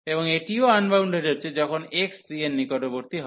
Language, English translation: Bengali, And this is also getting unbounded, when x approaching to c